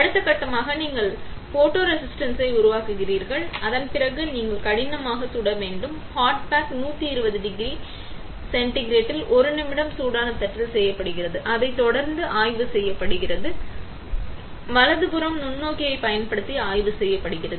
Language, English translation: Tamil, Next step is you develop photoresist, after that you hard bake; hard bake is done at 120 degree Centigrade 1 minute on hot plate followed by inspection, inspection is done in using microscope, right